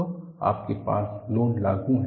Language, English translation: Hindi, So, you have, load is applied